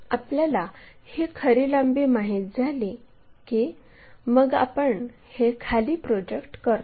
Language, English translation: Marathi, Once, this true length is known we project this all the way down